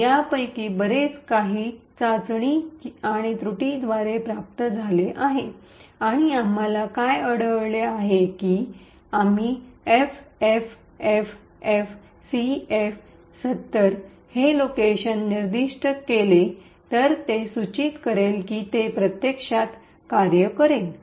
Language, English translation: Marathi, So, lot of this is obtained by trial and error and what we found that is if we specify the location FFFFCF70 it would indicate it would actually work